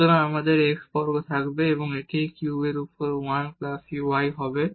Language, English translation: Bengali, So, we will have x square and this will become 1 plus y over x cube